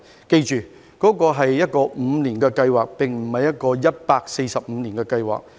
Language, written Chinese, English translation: Cantonese, 須緊記，這是一項5年計劃，而非145年的計劃。, It must be borne in mind that this is a five - year plan not a 145 - year plan